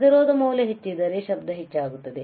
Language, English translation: Kannada, If the resistance value is higher, noise will increase